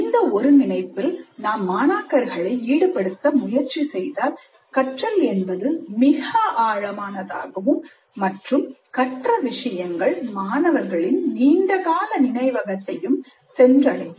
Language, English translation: Tamil, The more often we try to have the students engage in this process of integration, the more likely that learning will be deep and the material learned would go into the long term memory of the students